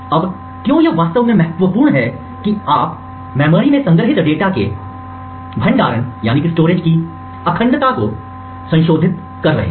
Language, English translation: Hindi, Now why this is actually critical is that you are modifying the integrity of the storage of the data stored in the memory